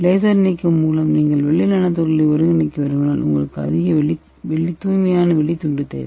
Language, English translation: Tamil, If you want to synthesis silver nanoparticles by laser ablation you need a high purity silver slice